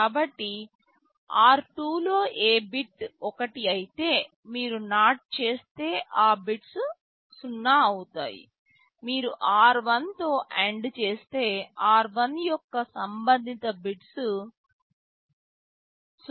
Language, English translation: Telugu, So, that in r2 whichever bit is 1, if you do NOT those bits will become 0; if you do AND with r1 those corresponding bits of r1 will become 0